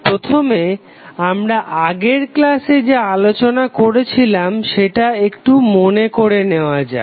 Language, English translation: Bengali, First, let us recap what we discussed in the last class